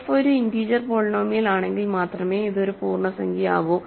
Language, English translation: Malayalam, It is an integer if and only if f is a integer polynomial